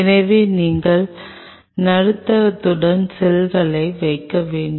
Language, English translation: Tamil, So, you have to put the cells on them along with the medium